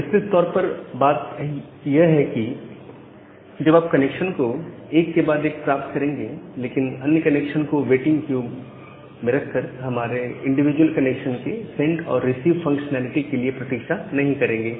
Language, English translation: Hindi, So, the broad idea here is that you get all the connections one after another, but do not wait for the send and a receive functionality of our individual connections and keep other connections in the waiting queue